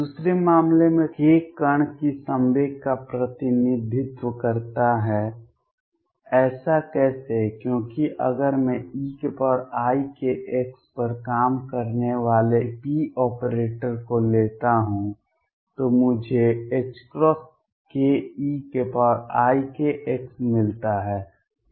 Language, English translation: Hindi, In the second case k represents the momentum of the particle, how so; because if I take p operator operating on e raise to i k x I get h cross k e raise to i k x